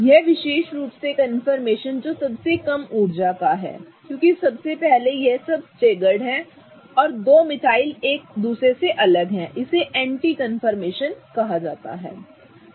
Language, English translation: Hindi, This particular confirmation which is of the lowest energy okay because firstly it is all staggered and the two metals are farthest apart from each other is called as an anti confirmation